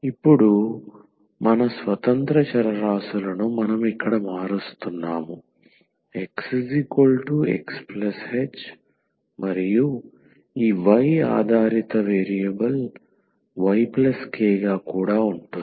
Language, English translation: Telugu, So, now, our independent variables we are changing here the x is X plus h and this y the dependent variable also as Y plus k